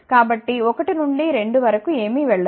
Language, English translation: Telugu, So, nothing will go from 1 to 2